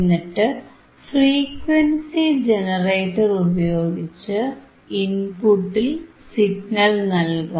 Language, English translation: Malayalam, Now we are applying the signal through the frequency generator,